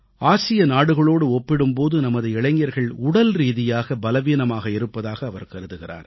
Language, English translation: Tamil, He feels that our youth are physically weak, compared to those of other Asian countries